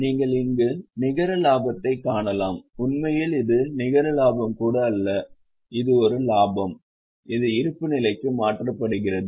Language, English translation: Tamil, Actually, this is not even net profit, this is a profit which is transferred to balance sheet